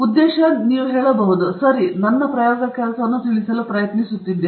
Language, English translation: Kannada, The purpose is basically, you can say, okay you are trying to convey your work